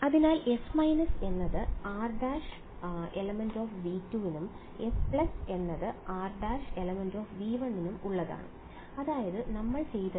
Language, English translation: Malayalam, So, S minus is for r prime belonging to V 2 and S plus is for r prime belonging to V 1 that is what we have done